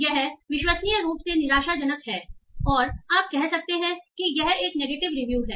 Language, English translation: Hindi, So it says unbelievably disappointing and you immediately say, okay, this is a negative review